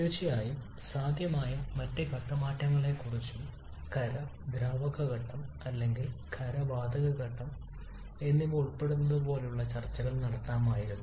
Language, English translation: Malayalam, Of course we could have discussed the other possible phase changes as well like the one involving solid and liquid phase or solid and gaseous phase